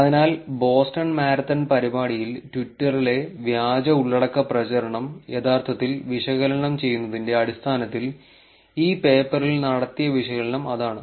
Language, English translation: Malayalam, So, that is about the analysis that was done in this paper in terms of actually analysing the fake content propagation in twitter during the event Boston marathon